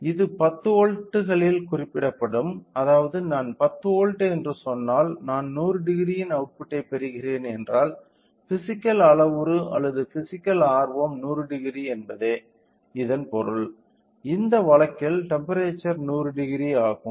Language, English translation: Tamil, It will be represented in 10 volts which means that if I say 10 volts I am getting output of 100 degree means the physical parameter or physical interest is of 100 degree; the temperature is 100 degree in this case